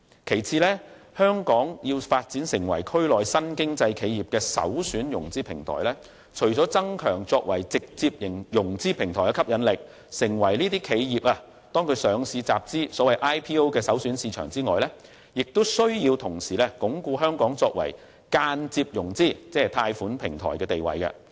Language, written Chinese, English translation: Cantonese, 第二，香港要發展成為區內新經濟企業的首選融資平台，除增強作為直接融資平台的吸引力，成為企業上市集資的首選市場外，亦須同時鞏固香港作為間接融資，即貸款平台的地位。, Second in order to develop into a premier financing platform for new business enterprises in the region Hong Kong should not only enhance its attractiveness as a direct financing platform so as to become the first - choice market for initial public offerings but also consolidate Hong Kongs position as an indirect financing platform that is a platform for obtaining credit . I would like to make a declaration